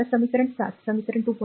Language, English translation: Marathi, So, equation 2